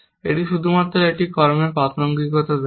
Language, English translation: Bengali, It only looks at the relevance of an action